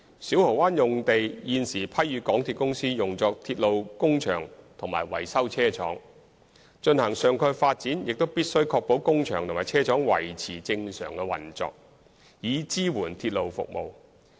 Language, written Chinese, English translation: Cantonese, 小蠔灣用地現時批予港鐵公司用作鐵路工場和維修車廠，進行上蓋發展也必須確保工場和車廠維持正常運作，以支援鐵路服務。, The Siu Ho Wan Depot Site is currently granted to MTRCL for use as a railway workshop and a maintenance depot . In taking forward the topside development it is also necessary to ensure that the normal operation of the workshop and depot is maintained in supporting railway services